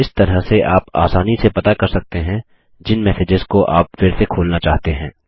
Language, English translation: Hindi, This way you can easily identify messages you want to open again